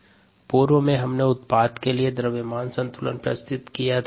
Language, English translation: Hindi, earlier we wrote a mass balance, the product